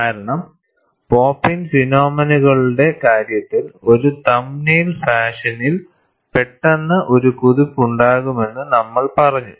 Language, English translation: Malayalam, Because in the case of pop in phenomena, we said, there would be a sudden jump in a thumb nail fashion